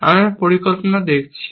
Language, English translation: Bengali, We are looking at planning